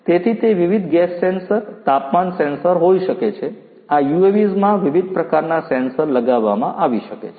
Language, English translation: Gujarati, So, it could be different gas sensors, temperature sensor, you know different other types of sensors could be fitted to these UAVs